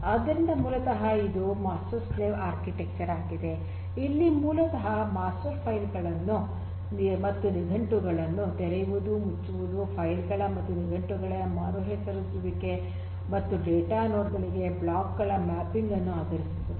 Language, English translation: Kannada, So, basically it is a master slave architecture, where basically the master executes the operations like opening, closing, the renaming the files and dictionaries and determines the mapping of the blocks to the data nodes